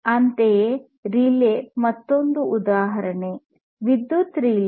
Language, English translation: Kannada, Similarly, a relay is another example, electric relay